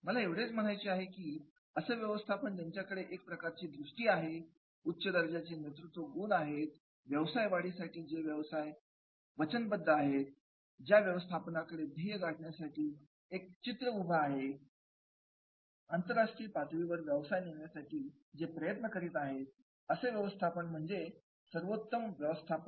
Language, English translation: Marathi, What I want to say is that management who is visionary, that management who is having the very strong leadership styles, that management who is having the commitment towards the running the business, who is having a very great picture, global level picture of the business and that is the great management is there